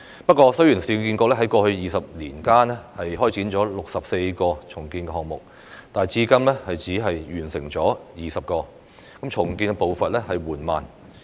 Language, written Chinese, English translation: Cantonese, 不過，雖然市建局在過去20年間開展了64個重建項目，但至今只完成了20個，重建步伐緩慢。, Having said that although URA has launched 64 redevelopment projects in the past two decades only 20 of them have been completed so far